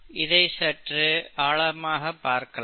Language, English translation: Tamil, Let’s dig a little deeper